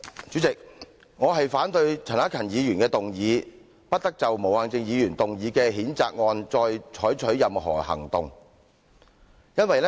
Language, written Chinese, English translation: Cantonese, 主席，我反對陳克勤議員的議案，"不得就毛孟靜議員動議的譴責議案再採取任何行動"。, President I reject Mr CHAN Hak - kans motion that no further action shall be taken on the censure motion moved by Hon Claudia MO